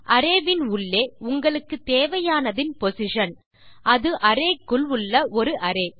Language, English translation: Tamil, And then the position of what you want inside the array